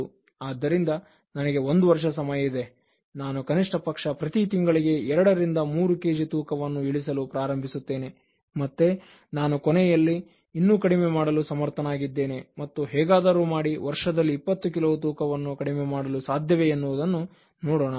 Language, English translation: Kannada, So, one year time I have, so I will start reducing at least through two to three kilos each month and then let me see that whether I am able to reduce more towards the end and somehow I should reduce 20 kilos within this year